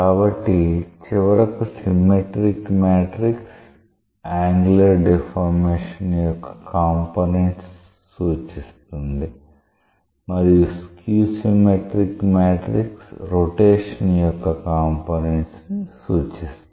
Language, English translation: Telugu, So, eventually that symmetric matrix is being represented by the components of the angular deformation and the skew symmetric matrix is represented by the components of the rotation